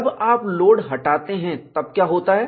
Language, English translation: Hindi, When you remove the load, what will happen